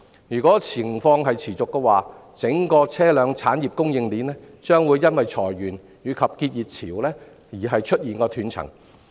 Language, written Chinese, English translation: Cantonese, 如果情況持續，整條車輛產業供應鏈將會因裁員及結業潮而出現斷層。, If the situation continues there will be disruptions in the entire vehicle supply chain caused by redundancies and business closures